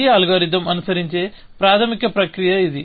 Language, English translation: Telugu, So, this is a basic process that this algorithm follows